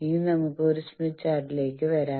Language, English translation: Malayalam, Now, let us come to what is a smith chart